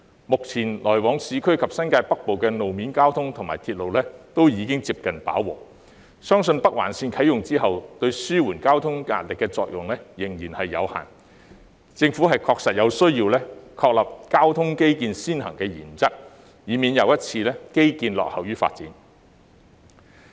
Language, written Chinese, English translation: Cantonese, 目前來往市區及新界北部的路面交通及鐵路已經接近飽和，相信北環綫啟用後對紓緩交通壓力的作用有限，政府確實有需要確立交通基建先行的原則，以免基建再一次落後於發展。, As road transports and railway systems connecting the urban areas and New Territories North have almost reached their maximum capacity at present it is believed that the Northern Link is still inadequate in relieving the traffic burden after its commissioning . The Government must adhere to the principle of according priority to building transport infrastructure so that our infrastructure will not lag behind development again